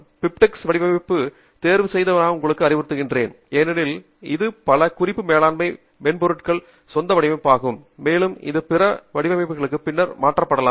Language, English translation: Tamil, I would advise you to choose the diptych format because there is a native format for many reference management software and also it can be converted later to other formats